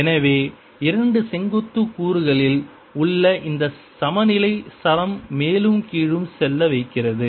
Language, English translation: Tamil, so this, this balance in the in the two vertical components, make the string up and down